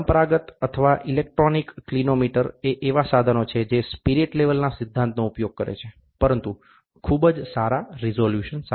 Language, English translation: Gujarati, Conventional or electronic clinometers are instruments employed the basic principle of spirit level, but with very high resolutions